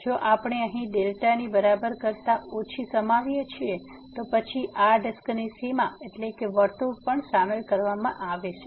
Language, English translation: Gujarati, If we include here less than equal to delta, then the boundary of this disc that means, the circle will be also included in the point here